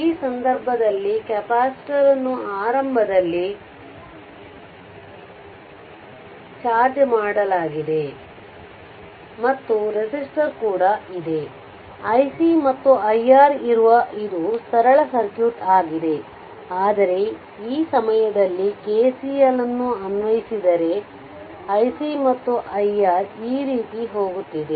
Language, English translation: Kannada, So, in this case this, this capacitor was initially charged and resistor is there; all though i C and i R it is a it is a simple circuit, but at this point if you apply KCL, I if you take like this that i C is going this way and i R is going this way both are leaving